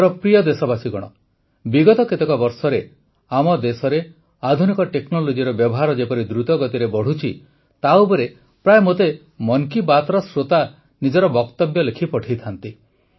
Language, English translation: Odia, in the last few years, the pace at which the use of modern technology has increased in our country, the listeners of 'Mann Ki Baat' often keep writing to me about it